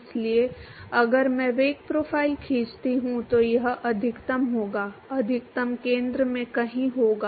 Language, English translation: Hindi, So, if I draw the velocity profile it will be maximum, the maximum will be somewhere at the centre